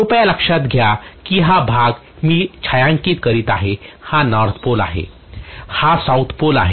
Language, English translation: Marathi, Please note that this is the portion I am shading this is north pole, this is south pole and so on, fine